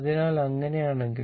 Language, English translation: Malayalam, So, if it is